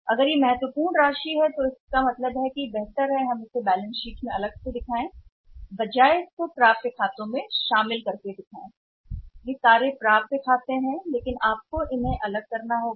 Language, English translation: Hindi, If it is a significant amount so it means it is better to show it individually in the balance sheet rather than clubbing it under one head of accounts receivable they all are accounts receivable but you have to segregate them